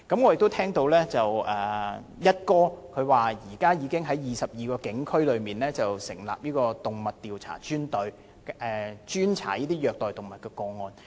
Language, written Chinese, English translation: Cantonese, 我聽到"一哥"表示，現在已經在22個警區裏成立專隊，專責調查虐待動物的案件。, I heard the Commissioner of Police say that dedicated teams have been set up in 22 police districts to investigate cases of animal abuse